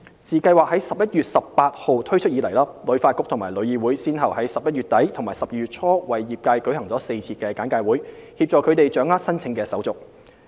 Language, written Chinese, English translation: Cantonese, 自計劃於11月18日推出以來，旅發局和旅議會先後於11月底至12月初為業界舉行了4次簡介會，協助他們掌握申請手續。, Upon the launch of the Scheme on 18 November HKTB and TIC organized four briefings for the trade from end November to early December to facilitate their understanding of the application procedures